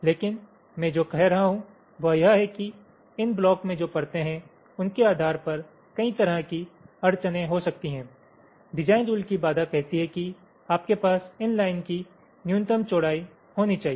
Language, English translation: Hindi, but what i am saying is that, depending on the layers in which this blocks are, there can be several constraints, like, of course, design rule constraint says that you have to have some minimum width of this lines